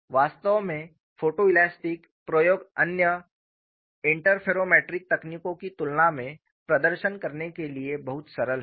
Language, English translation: Hindi, In fact, photo elastic experiments are much simpler to perform than other interferometric techniques